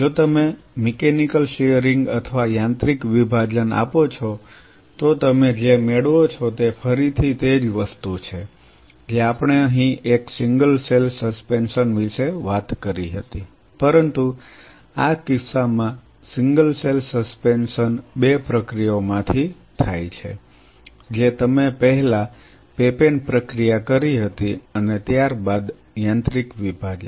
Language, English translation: Gujarati, If you do offer a mechanical shearing or mechanical dissociation what you obtain is again the same thing what we talked about here a single cell suspension, but the single cell suspension in this case goes through 2 processes you first did a papain processing followed by a mechanical dissociation